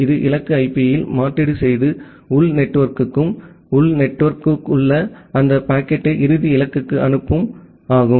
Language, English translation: Tamil, It make a replacement in the destination IP and send it back to the internal network and the internal network forward that packet to the final destination